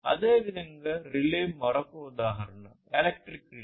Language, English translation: Telugu, Similarly, a relay is another example, electric relay